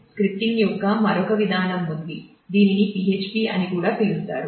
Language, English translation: Telugu, There is another mechanism of scripting which is also very popular called PHP